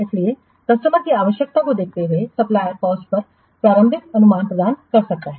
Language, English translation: Hindi, So, looking at the what customer's requirement, the supplier may provide an initial estimate of the cost